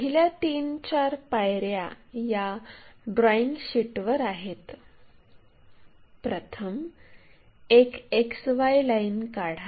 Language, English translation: Marathi, The first three step, four steps are on the drawing sheet; first draw a XY line